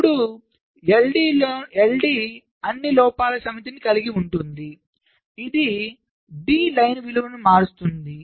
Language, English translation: Telugu, now l d will contain the set of all faults which will change the value of the line d